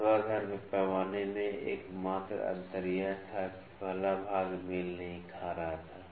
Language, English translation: Hindi, The only difference in the vertical scale was at that the first division was not coinciding